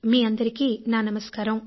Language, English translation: Telugu, Fellow citizens, Namaskar to all